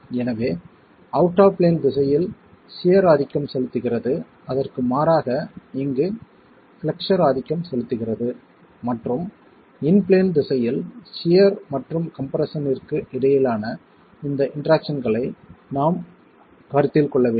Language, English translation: Tamil, So it's flexure dominated rather than shear dominated in the out of plane direction and in the in plane direction we need to consider this interaction between shear and compression